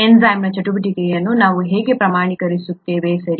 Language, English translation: Kannada, How do we quantify the activity of the enzyme, okay